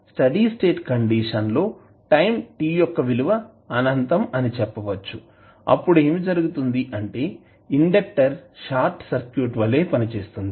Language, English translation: Telugu, At steady state condition say time t tends to infinity what will happen that the inductor will act as a short circuit